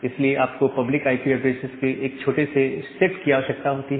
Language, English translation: Hindi, So, that is why if you have a very few public IP addresses